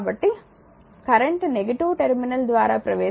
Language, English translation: Telugu, So, p is equal to plus vi current enter is your negative terminal p is equal to minus vi